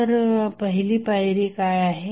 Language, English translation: Marathi, So, what is the first step